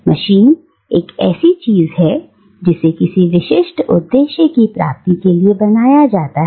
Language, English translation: Hindi, A machine is something that is created, to achieve some very specific purpose, right